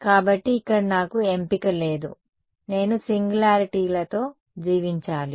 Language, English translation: Telugu, So, here I have no choice, I have to live with the singularities